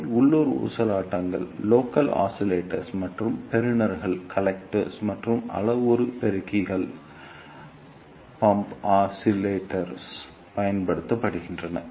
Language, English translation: Tamil, They are also used in local oscillators and receivers, or in pump oscillators and in parametric amplifiers